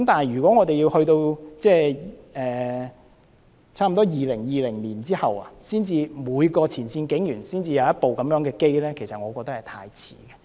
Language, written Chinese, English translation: Cantonese, 如果要等到差不多2020年後，每名前線警員才能有一部隨身攝錄機，我認為太遲。, In my opinion it is too late if we have to wait until after 2020 for each frontline police officer to be equipped with a BWVC